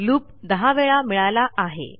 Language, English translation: Marathi, Youve got your loop ten times